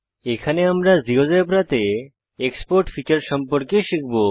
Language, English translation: Bengali, In this tutorial, we will learn about the Export feature in GeoGebra